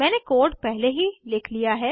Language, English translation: Hindi, I have already written the code